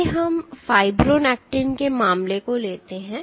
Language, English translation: Hindi, Let us take the case of fibronectin